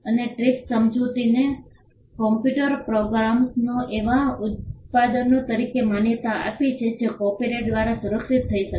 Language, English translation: Gujarati, And the TRIPS agreement also recognised computer programs as products that can be protected by copyright